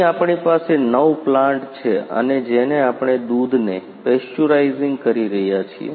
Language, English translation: Gujarati, Here we have a nine plants and a which we are pasteurising milk